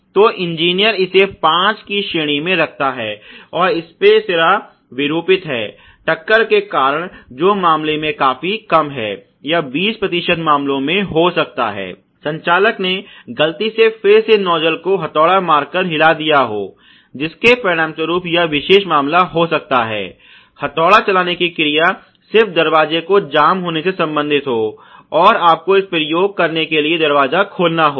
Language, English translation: Hindi, So, the engineer rates that to be about 5 and then obviously you know spray head deformed due to impact is quite less in may be two of the case or 20 percent of the cases, the operator may have accidentally rammed the nuzzle again something to do some hammering action, which may have resulted in this particular case the hammering action may be just related to the door getting jammed, and you have to open the door in order to do this application